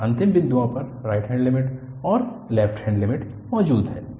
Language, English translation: Hindi, And at the end points, the right limit and the left limit exist